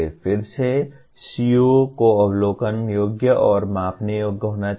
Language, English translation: Hindi, Again, COs should be observable and measurable